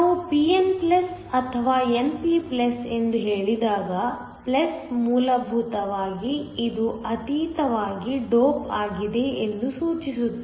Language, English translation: Kannada, When we say a pn+ or np+, the plus essentially denotes that this is heavily doped